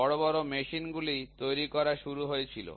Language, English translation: Bengali, So, big machines were started getting built